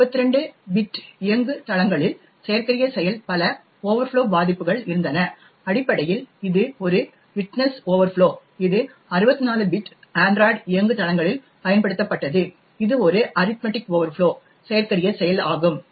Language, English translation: Tamil, There were multiple overflow vulnerabilities that were exploited on 32 bit platforms essentially it was a widthness overflow that was exploited while on 64 bit android platforms it was an arithmetic overflow that was exploited